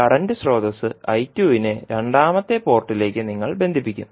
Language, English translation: Malayalam, You will connect current source I 2 to the second port and you will short circuit the first port